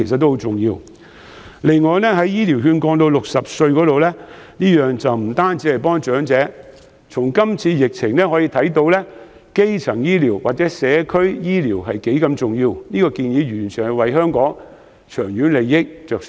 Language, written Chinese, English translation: Cantonese, 此外，醫療券合資格年齡降至60歲的建議並非只是幫助長者，因為這次疫情反映了基層醫療和社區醫療的重要性，我提出這項建議完全是為香港的長遠利益着想。, As for the suggestion of lowering the eligible age for Health Care Vouchers to 60 I do not only mean to help the elderly because as reflected in this epidemic primary care and community medical service are very important . I hence made this suggestion to benefit Hong Kong in the long run